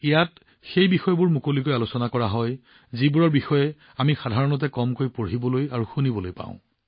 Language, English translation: Assamese, Here those topics are discussed openly, about which we usually get to read and hear very little